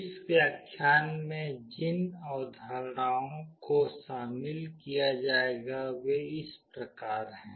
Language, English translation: Hindi, The concepts that will be covered in this lecture are like this